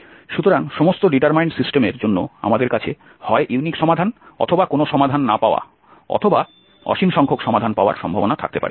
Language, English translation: Bengali, So for all determine system also we can have the possibility of unique solution, no solution and infinitely many solutions